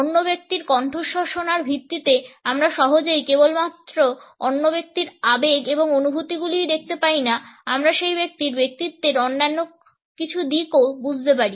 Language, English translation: Bengali, On the basis of listening to the other people’s voice, we can easily make out not only the emotions and feelings of the other person, we can also understand certain other aspects of that individual’s personality